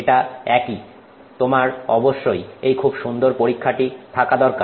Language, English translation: Bengali, It is the same, you have to have these really nice experiments